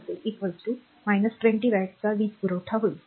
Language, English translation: Marathi, So, minus 120 watt it will be power supplied